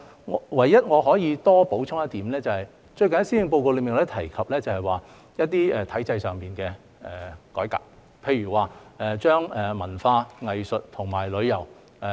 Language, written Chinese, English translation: Cantonese, 我唯一可以補充的是，最近在施政報告中也提及一些體制上的改革，例如把文化、藝術和旅遊整合。, The only thing I can add is that some institutional reforms have also been mentioned in the Policy Address recently such as the integration of culture arts and tourism